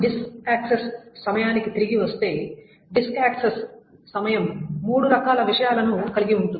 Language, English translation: Telugu, So coming back to the disk access time, a disk access time consists of three kinds of things